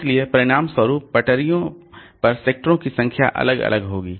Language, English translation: Hindi, So, as a result, the number of sectors will vary across the tracks